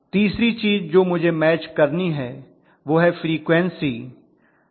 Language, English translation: Hindi, The third thing I have to match is the frequency